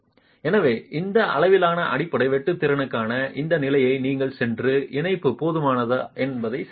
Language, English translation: Tamil, So, this stage, for this level of base share capacity, you will go and check what the connection adequacy is